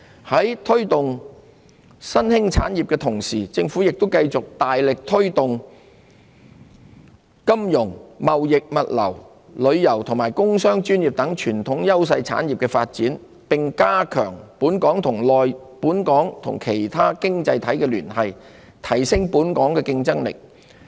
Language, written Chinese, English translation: Cantonese, 在推動新興產業的同時，政府亦會繼續大力推動金融、貿易物流、旅遊和工商專業等傳統優勢產業的發展，並加強本港與其他經濟體的聯繫，提升本港的競爭力。, As well as promoting emerging industries the Government will continue its big push for the development of such traditional priority industries as finance trading and logistics tourism business and professional services while strengthening the ties between Hong Kong and other economies with a view to upgrading the competitiveness of Hong Kong